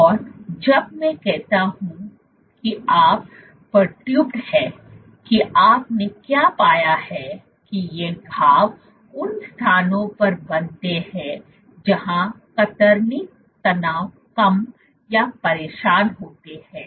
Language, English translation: Hindi, And this and when I say it is perturbed what you have found that these lesions are formed at locations where shear stresses are low or disturbed